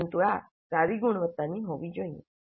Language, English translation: Gujarati, But this must be of a good quality